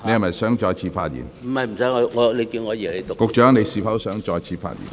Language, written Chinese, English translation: Cantonese, 運輸及房屋局局長，你是否想再次發言？, Secretary for Transport and Housing do you wish to speak again?